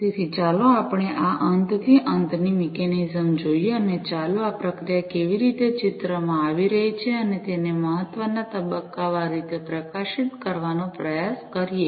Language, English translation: Gujarati, So, let us look at this end to end mechanism and let us try to highlight stepwise, how this processing is coming into picture and its importance